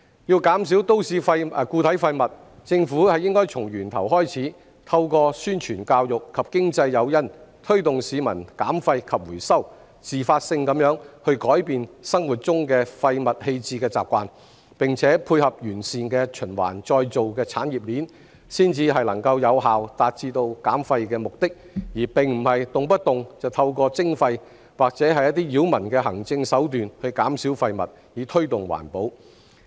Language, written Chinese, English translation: Cantonese, 要減少都市固體廢物，政府應該從源頭開始，透過宣傳教育及經濟誘因，推動市民減廢及回收，自發地改變生活中廢物棄置的習慣，並且配合完善的循環再造產業鏈，才能有效達至減廢目的，而非動不動就透過徵費或者一些擾民的行政手段去減少廢物，以推動環保。, To reduce MSW the Government should start at source . It should motivate the public to reduce and recycle waste and spontaneously change their waste disposal habits in their daily lives through publicity education and economic incentives . With the complement of a comprehensive recycling chain waste reduction could be effectively achieved